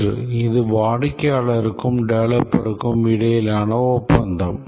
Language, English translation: Tamil, One is that it is an agreement between the customer and the developer